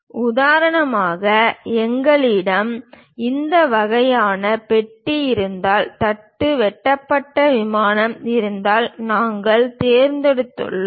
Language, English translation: Tamil, For example if we have this kind of box, block; if there is a cut plane, we have chosen